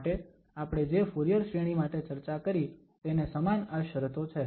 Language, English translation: Gujarati, So, similar conditions what we have discussed for the Fourier series